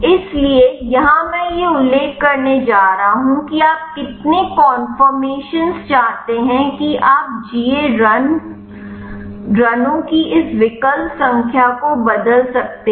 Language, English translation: Hindi, So, here I am going to mention how many conformations you want you can change this options number of GA runs